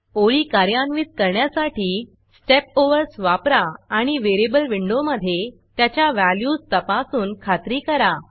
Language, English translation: Marathi, Use Step Overs to execute the lines and make sure to inspect the values of variables in the variable window